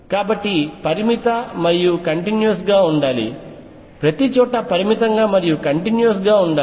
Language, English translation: Telugu, So, finite and continuous; should also a finite and continuous everywhere